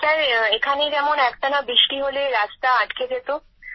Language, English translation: Bengali, Sir, when it used to rain there, the road used to get blocked